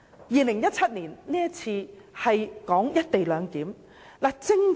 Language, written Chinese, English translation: Cantonese, 2017年出現了關乎"一地兩檢"的爭議。, The controversy over the co - location arrangement arose in 2017